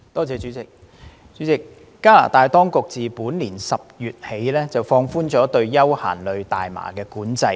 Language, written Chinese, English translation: Cantonese, 主席，加拿大當局自本年10月起，放寬了對休閒類大麻的管制。, President the Canadian authorities have relaxed the control on recreational cannabis since October this year